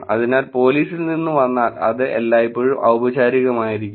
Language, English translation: Malayalam, So, from the police if it comes, it is almost going to be always formal